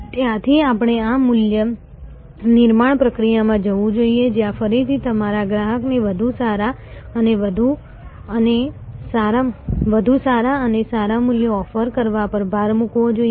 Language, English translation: Gujarati, In that from there we must go to this value creation process, where again emphasis has to be on offering better and better values to your customer